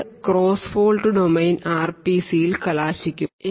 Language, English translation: Malayalam, So next we will look at the cross fault domain RPCs